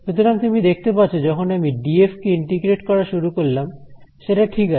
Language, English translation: Bengali, So, what you can see is that when I start integrating this d f right